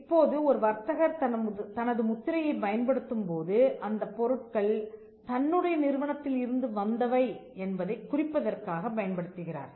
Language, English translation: Tamil, Now, a trader when he uses a mark, the trader signifies that the goods are from his enterprise